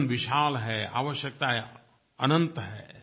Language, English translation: Hindi, Life is big, needs are endless